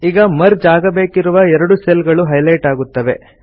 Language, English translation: Kannada, This highlights the two cells that are to be merged